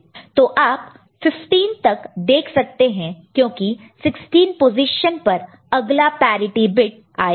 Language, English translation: Hindi, So, you see up to 15, because at 16 position another parity bit will come